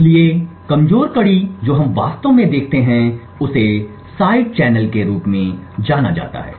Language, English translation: Hindi, So the weak link that we actually look is known as side channels